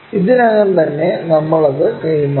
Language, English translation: Malayalam, Already o point, we transferred it